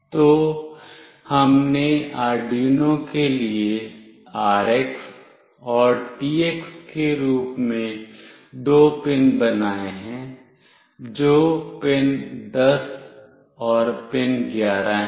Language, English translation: Hindi, So, we have made two pins as RX and TX for Arduino, which is pin 10 and pin 11